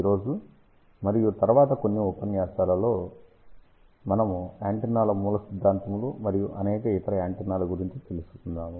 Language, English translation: Telugu, Today and in the next few lectures, we will talk about antenna fundamentals and several other antennas